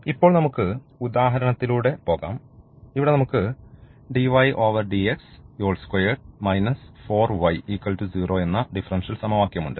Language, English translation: Malayalam, So, here these are the examples of the differential equations